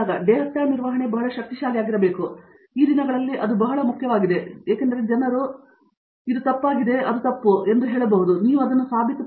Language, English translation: Kannada, Data handling should be very powerful, that is very important nowadays because people say that this property is wrong, this is wrong, you have to prove them